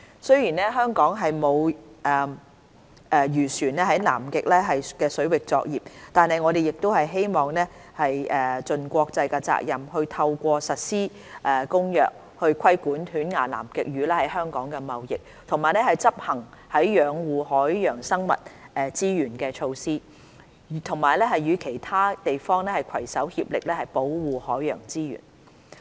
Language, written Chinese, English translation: Cantonese, 雖然香港沒有漁船在南極水域作業，但我們亦希望盡國際責任，透過實施《公約》，規管犬牙南極魚在香港的貿易，以及執行養護海洋生物資源的措施，與其他地方攜手協力保護海洋資源。, Although Hong Kong has no fishing vessels operating in Antarctic waters we also wish to fulfil our international responsibility by implementing CCAMLR to regulate toothfish trading in Hong Kong and taking measures to conserve marine living resources in a concerted effort with other places to protect marine resources